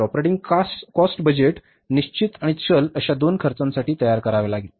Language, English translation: Marathi, So, operating expenses budget has to be prepared for both fixed and the variable expenses